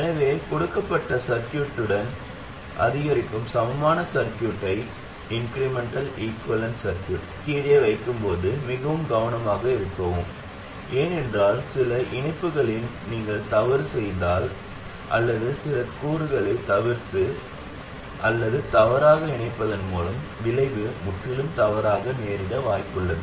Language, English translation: Tamil, So please be very careful while putting down the incremental equivalent equivalent circuit of a given circuit, because if you make a mistake there in some connection or by omitting or wrongly connecting some component, the results will be completely wrong